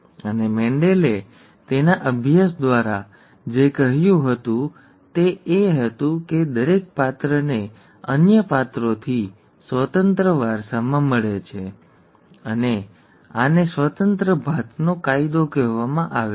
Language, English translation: Gujarati, And what Mendel said through his studies was that each character is inherited independent of the other characters, and this is called the law of independent assortment